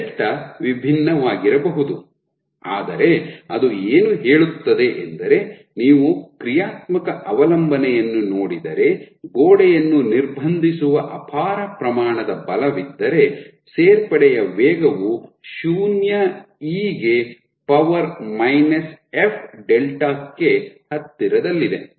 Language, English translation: Kannada, So, delta can be different, but what it says if you look at the functional dependence here that if there is a humongous amount of force which is restricting the wall then the rate of addition is almost close to 0, e to the power minus f delta